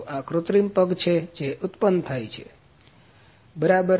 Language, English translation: Gujarati, So, this is artificial foot that is produced, ok